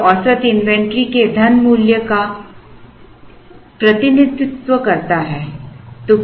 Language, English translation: Hindi, This represents the money value of the average inventory